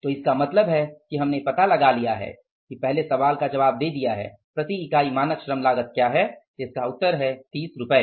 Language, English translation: Hindi, So, you will find out the first, the answer to the first question that is the standard unit labor cost of the product